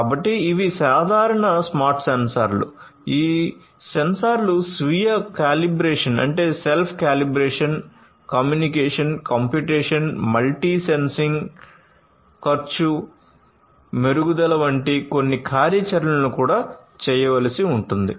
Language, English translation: Telugu, So, these are the simple smart sensors these sensors will also have to do certain functionalities like self calibration, communication, computation, multi sensing cost improvement of their own, and so on